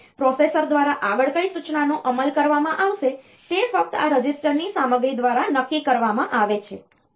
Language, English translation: Gujarati, Like which instruction will be executed next by the processor is decided solely by the content of this register